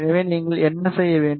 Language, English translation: Tamil, So, what you need to do